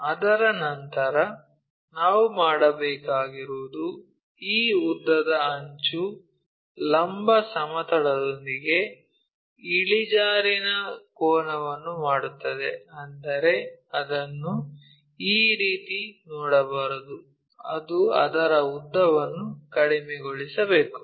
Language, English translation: Kannada, After that what we have to do is this longer edge makes an inclination angle with the vertical plane, that means, we should not see it in this way it has to decrease its length